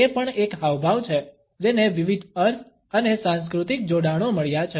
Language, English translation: Gujarati, It is also a gesture, which has got different connotations and cultural associations